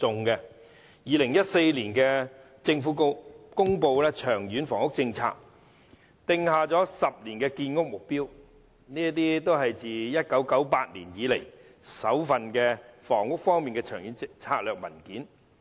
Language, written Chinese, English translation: Cantonese, 2014年，政府公布"長遠房屋政策"，訂下10年建屋目標，是自1998年以來首份房屋方面的長遠策略文件。, The Government promulgated the Long Term Housing Strategy in 2014 to lay down the 10 - year housing construction target which was the first long - term strategic document on housing since 1998